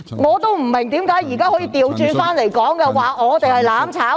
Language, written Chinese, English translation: Cantonese, 我不明白為何他們現在反過來指我們想"攬炒"。, I do not understand why they now instead accuse us of having the intention to seek mutual destruction